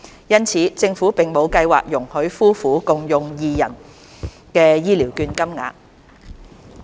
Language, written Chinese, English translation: Cantonese, 因此，政府並無計劃容許夫婦共用二人的醫療券金額。, Hence the Government has no plans to allow the sharing of voucher amounts by couples